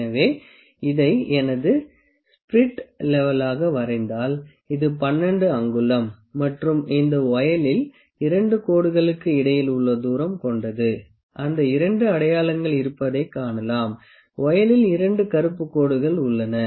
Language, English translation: Tamil, So, if I draw this as my spirit level this is 12 inch, and this voile the distance between the 2 lines, you can see the 2 markings are there, 2 black lines are there on the voile